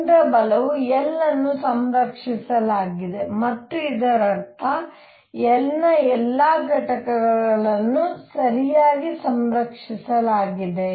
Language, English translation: Kannada, The force is central L is conserved and this means all components of L are conserved alright